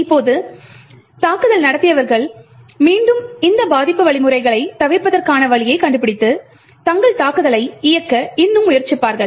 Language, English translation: Tamil, Now the attackers again would find a way to bypass this defense mechanisms and still get their attack to run